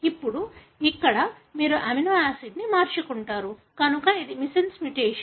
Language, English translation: Telugu, Now here you change the amino acid, therefore it is a missense mutation